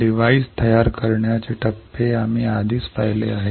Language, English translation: Marathi, We have already seen what are the steps for fabricating a device